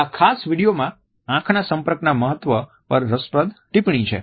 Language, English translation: Gujarati, This particular video is when interesting commentary on the significance of eye contact